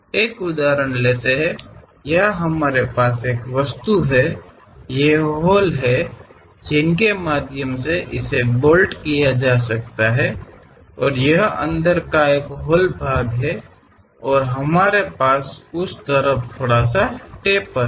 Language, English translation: Hindi, Let us take an example, here we have an object; these are the holes through which it can be bolted and this is a hollow portion inside and we have a slight taper on that side